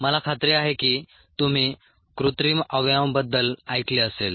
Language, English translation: Marathi, i am sure you would have heard of artificial organs